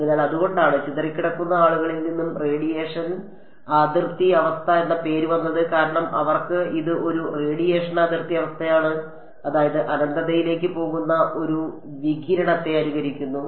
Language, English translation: Malayalam, So, that is why this, that is why the name radiation boundary condition has come from the scattering people, because for them this is a radiation boundary condition meaning its simulating a radiation that is going off to infinity